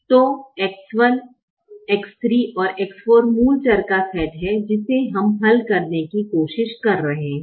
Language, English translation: Hindi, so x one, x three and x four are the set of basic variables that we are trying to solve